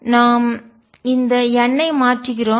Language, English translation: Tamil, We substitute this n